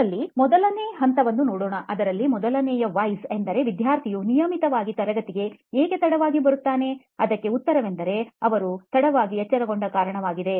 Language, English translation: Kannada, To look at it first at level 1, the basic premise, the first Why, the answer of why does the student come so late to class so regularly is because they woke up late